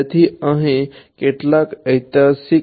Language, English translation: Gujarati, So, few names a few historical name over here